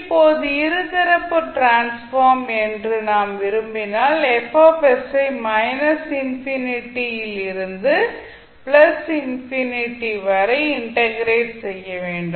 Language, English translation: Tamil, Now if you want both sides that is bilateral transform means you have to integrate Fs from minus infinity to plus infinity